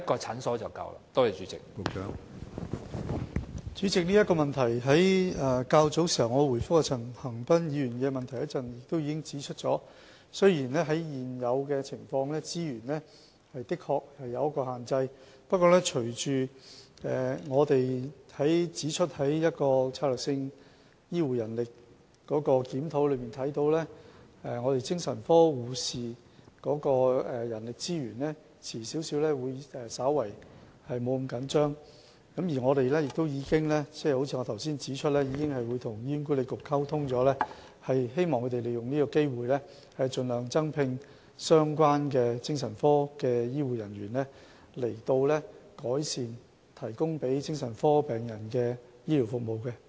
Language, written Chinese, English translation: Cantonese, 主席，關於這項補充質詢，我較早前答覆陳恒鑌議員的主體答覆時已指出，雖然在現有的情況下，資源確實有所限制，不過從"醫療人力規劃和專業發展策略檢討報告"可見，精神科護士的人力資源遲些將不會那麼緊絀，正如我剛才指出，我們已經與醫管局溝通，希望他們利用是次機會，盡量增聘相關的精神科醫護人員，以改善向精神科病人提供的醫療服務。, President in relation to this supplementary question when I answered Mr CHAN Han - pans main question earlier I have pointed out that under the current circumstances our resources are actually limited . Nevertheless according to the Report of Strategic Review on Healthcare Manpower Planning and Professional Development shortage of psychiatric nursing staff would be relieved later on . As I pointed out earlier we have already liaised with HA hoping that it will make use of this opportunity to recruit the relevant psychiatric nursing staff to improve the health care services provided to psychiatric patients